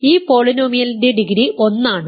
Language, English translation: Malayalam, The degree of this polynomial is 1 degree of this polynomial is 1